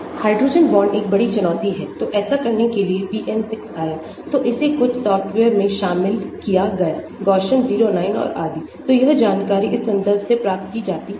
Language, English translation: Hindi, Hydrogen bonds is a big challenge so for in order to do that PM 6 came into so this was included in some softwares; Gaussian 09 and so on, so this information is obtained from this reference